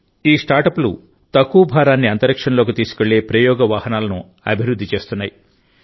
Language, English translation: Telugu, These startups are developing launch vehicles that will take small payloads into space